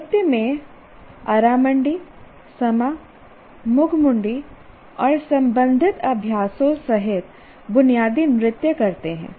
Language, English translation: Hindi, For example in dance, perform basic stances including Aramandi, Sama, Mujimandi and the related exercises